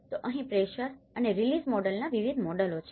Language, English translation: Gujarati, There are various models of the pressure and release model